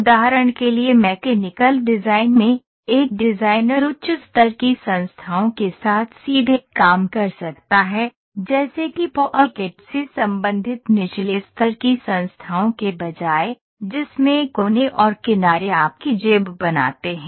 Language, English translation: Hindi, In mechanical design for example, a designer can work directly with the high level entities, such as pocket, rather than associated low level entities, in which the vertices and edges form your pocket